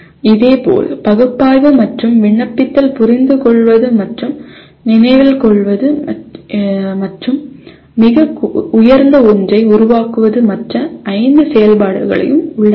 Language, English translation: Tamil, Similarly analyze will involve apply, understand and remember and the highest one is create can involve all the other 5 activities